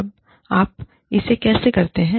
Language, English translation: Hindi, Now, how you do it